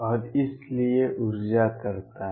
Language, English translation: Hindi, And so, does the energy